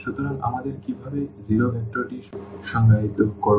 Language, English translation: Bengali, So, what how do we define the zero vector